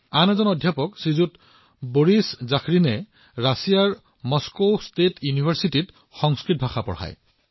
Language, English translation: Assamese, Another such professor is Shriman Boris Zakharin, who teaches Sanskrit at Moscow State University in Russia